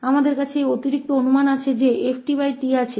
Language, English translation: Hindi, We have this additional assumption that f t over t exist